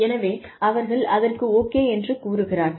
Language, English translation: Tamil, So, they say okay